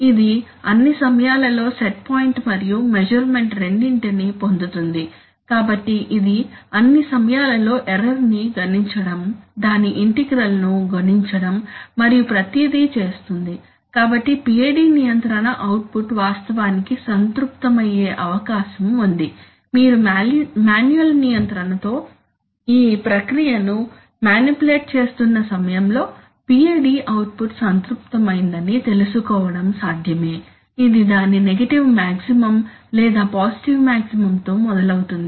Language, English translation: Telugu, But it is all the time getting both the set point and the measurement, so it is all the time computing the error, computing its integral everything it is doing, so it is quite likely that the PID control output is actually saturated, during the time that you are manipulating the process with manual control it is quite possible that the PID output has got saturated, it is start either at its negative maximum or its positive maximum